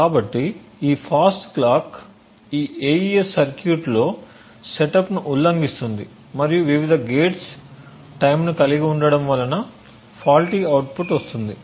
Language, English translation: Telugu, So this fast clock violates setup and hold times of various gates in this AES circuit resulting in a faulty output